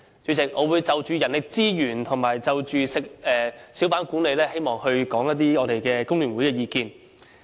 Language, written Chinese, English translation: Cantonese, 主席，我會就人力資源及小販管理方面表達工聯會的意見。, President I would express the views of the Hong Kong Federation of Trade Unions FTU on manpower resources and hawker management